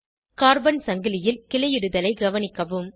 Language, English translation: Tamil, Observe the branching in the Carbon chain